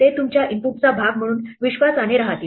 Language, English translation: Marathi, They will remain faithfully as part of your input